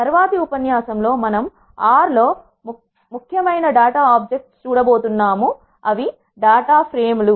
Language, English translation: Telugu, In the next lecture, we are going to look at the important data object of R which is data frames